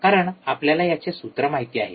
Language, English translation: Marathi, Because that we know the formula